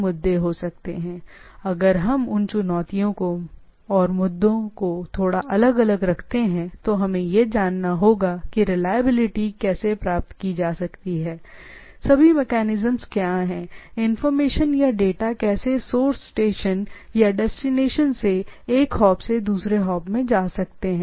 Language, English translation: Hindi, Nevertheless, if we keep those challenges and issues little bit apart like will look at those thing that how still reliability whether it can be attained, if at all what are the mechanisms, but what we try to see is that how these information or data from the source station or destination can go from one hop to another